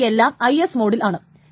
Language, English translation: Malayalam, Then this is IS mode